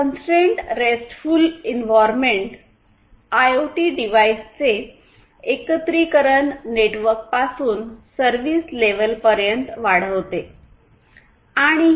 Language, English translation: Marathi, And CoRE; Constrained RESTful Environment extends the integration of IoT devices from networks to the service level